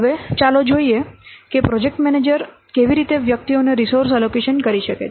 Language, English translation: Gujarati, Now let's see how the project manager can allocate resources to individuals